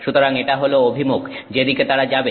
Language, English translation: Bengali, So, this is the direction in which they will move